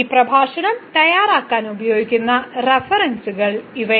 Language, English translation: Malayalam, So, these are the references used for preparing this lecture